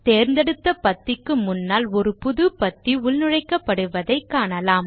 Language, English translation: Tamil, You see that a new column gets inserted before the selected cell column